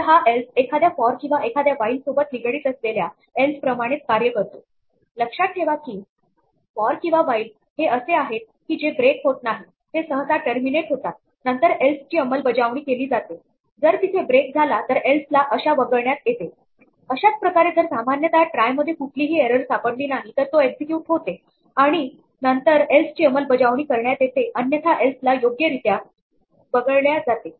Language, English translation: Marathi, So, this else is in the same spirit as the else associated with a 'for' or a 'while' remember that a for or a while that does not break that terminates normally then executes the else if there is a break the else is skipped in the same way, if the try executes normally that is there is no error which is found then the else will execute otherwise the else is skipped right